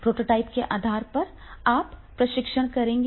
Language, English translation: Hindi, On basis of the prototype you will making the testing